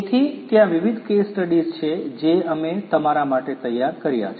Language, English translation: Gujarati, So, there are different case studies that we have prepared for you